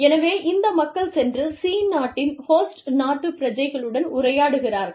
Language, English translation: Tamil, So, these people, go and interact, with the host country nationals, in country C